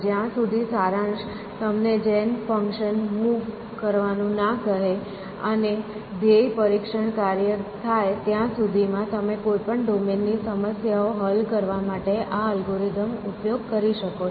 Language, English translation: Gujarati, As long as summery provides with you move gen function, and the goal test function you can use this algorithm to solve problems in any domain essentially